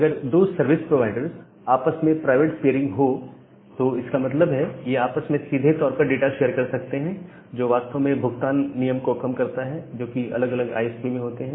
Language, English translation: Hindi, So, if 2 service providers they are having private peering; that means, they can directly share the data among themselves which actually reduces the charging policy which is being there in different ISPs